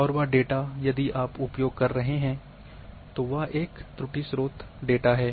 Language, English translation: Hindi, And that data if you are using that is an error in the source data